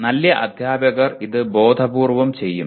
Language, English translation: Malayalam, Good teachers may do it intuitively